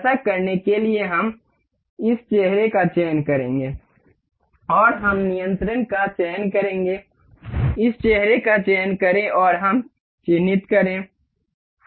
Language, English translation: Hindi, To do this we will select this face and we will select control select this face and we will mark